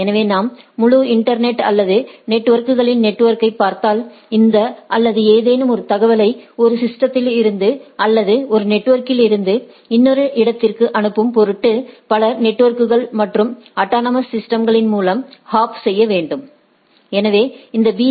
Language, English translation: Tamil, So, if you see that if we look at the whole internet or network of networks, so there are in order to push this or any forwarding any information from one system or one network to another, it has to hop through several networks and autonomous systems right